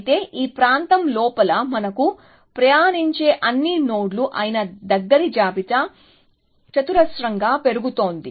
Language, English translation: Telugu, Whereas, the close list, which is all the nodes that we have traverse inside this area is growing quadratically essentially